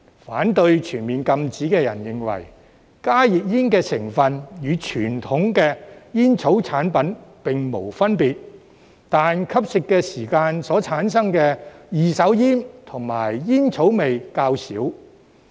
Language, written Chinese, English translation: Cantonese, 反對全面禁止的人認為，加熱煙的成分與傳統煙草產品並無分別，但吸食時產生的二手煙和煙草味較少。, Those who oppose a full ban argue that although the ingredients of HTPs are no different from conventional tobacco products less second - hand smoke and tobacco smell is produced when HTPs are consumed